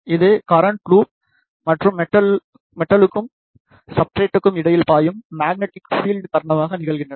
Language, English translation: Tamil, The other is due to the inductive coupling which is due to the current loops and the magnetic field which flows between the metal and the substrate